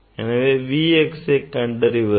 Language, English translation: Tamil, that V x we have to find out